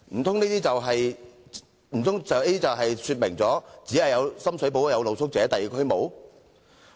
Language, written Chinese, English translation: Cantonese, 政府這樣做，難道是要表示只有深水埗區有露宿者，而其他區沒有嗎？, Does the Government mean to indicate that street sleepers can be found only in Sham Shui Po and not in other districts?